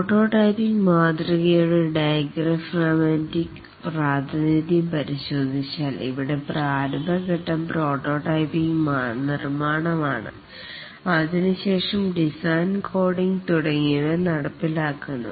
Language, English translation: Malayalam, If we look at the diagrammatic representation of the prototyping model, the initial phase here is prototype construction and after that the design, coding, etc